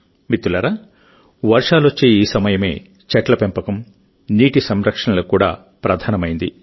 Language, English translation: Telugu, Friends, this phase of rain is equally important for 'tree plantation' and 'water conservation'